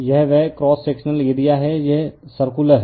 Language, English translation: Hindi, This is that cross sectional area right, this is circular one